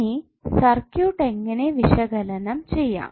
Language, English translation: Malayalam, In that case how we will analyze the circuit